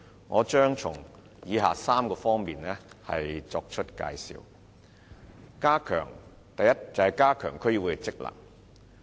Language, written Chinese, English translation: Cantonese, 我將從以下3方面作出介紹：第一，加強區議會的職能。, My elaboration will consist of three parts as follows First strengthening the functions of DCs